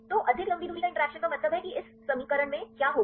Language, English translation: Hindi, So, more long range interactions means what will happen in this equation